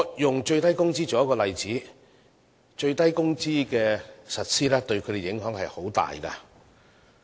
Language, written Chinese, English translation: Cantonese, 以最低工資為例，實施最低工資對它們影響很大。, I will take the minimum wage as an example . The implementation of the statutory minimum wage has the greatest impact on them